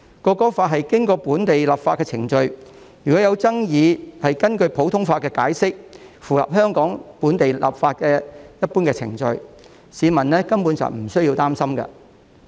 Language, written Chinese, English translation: Cantonese, 《國歌法》是經過本地立法的程序，若有爭議，會根據普通法作解釋，符合香港本地立法的一般程序，市民根本無須擔心。, The Bill is enacted by local legislation and will be interpreted under common law in case there is any dispute which is in line with the general procedures of enacting local legislation in Hong Kong . Members of the public thus need not be worried at all